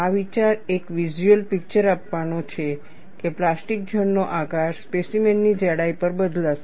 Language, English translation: Gujarati, The idea is to give a visual picture that the plastic zone shape would change over the thickness of the specimen